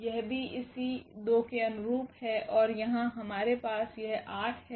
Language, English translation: Hindi, So, this is corresponding to this 2 this is also corresponding to 2 and here we have this corresponding to this 8